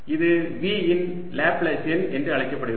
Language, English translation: Tamil, this is known as the laplacian of v